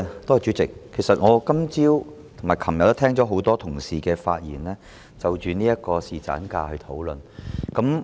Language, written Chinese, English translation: Cantonese, 代理主席，其實我今早和昨天也聽到很多同事發言，就侍產假進行討論。, Deputy President in fact this morning and yesterday I listened to many colleagues speeches on paternity leave